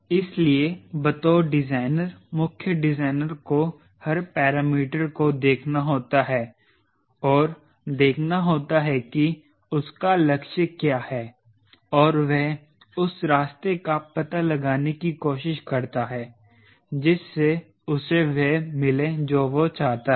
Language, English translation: Hindi, so the designers, chief designer has to look every parameter and see what it is goal and we try to find out that path which gives him what is desired